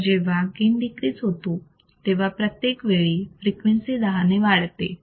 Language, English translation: Marathi, The gain decreases each time the frequency is increased by 10